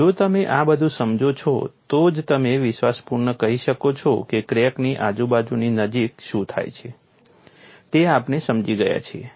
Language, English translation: Gujarati, Only if you understand all of these, then you can confidently say we have understood what happens near the vicinity of the crack